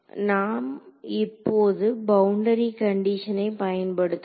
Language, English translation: Tamil, So, now, let us use the boundary condition